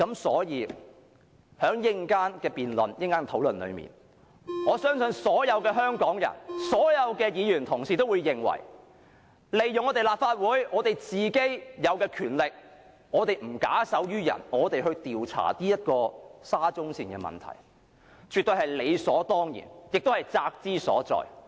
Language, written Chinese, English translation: Cantonese, 在稍後的討論中，我相信所有香港人和議員也會認同利用立法會有的權力，不假手於人，調查沙中線的問題絕對是理所當然，也是責之所在。, In the later discussion I believe all Hong Kong people and Members will agree that it is only reasonable to use the powers of the Legislative Council to inquire into the problems of SCL instead of leaving the work to others; and Members have the responsibility to do so too